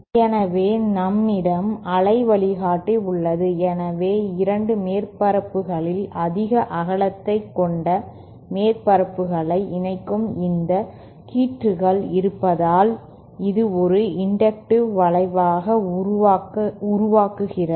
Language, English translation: Tamil, So, we have waveguideÉ So, if we have these strips connecting the surfaces which have the greater width of the 2 surfaces, then this produces an inductive effect